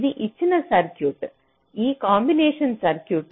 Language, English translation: Telugu, this is the circuit which is given, this combination circuit